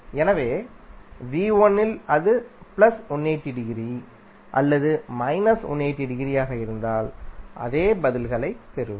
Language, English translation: Tamil, So, whether it was plus 180 degree or minus 180 degree in case of v1, we found the same answers